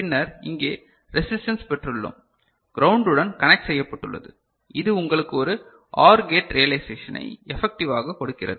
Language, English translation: Tamil, And then here we have got the resistance and connected to the ground which effectively gives you a OR gate realization